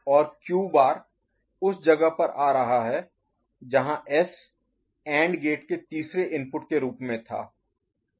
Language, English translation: Hindi, And Q bar is coming to where the S was there as a third input to the AND gate ok